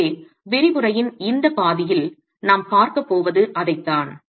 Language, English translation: Tamil, So that's what we're going to be looking at in this half of the lecture